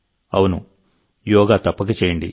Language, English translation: Telugu, Certainly do yoga